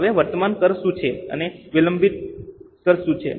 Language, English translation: Gujarati, Now, what is a current tax and what is a deferred tax